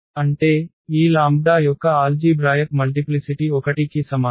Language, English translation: Telugu, So, what is the algebraic multiplicity